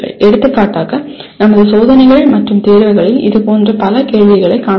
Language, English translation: Tamil, For example we come across many such questions in our tests and examinations